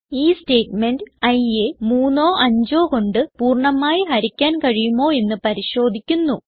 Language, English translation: Malayalam, This statement checks whether i is divisible by 3 or by 5